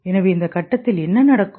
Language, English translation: Tamil, So what happens in the stage